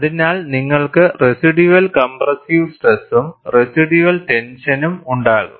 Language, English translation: Malayalam, So, you will have a residual compressive stress and a residual tension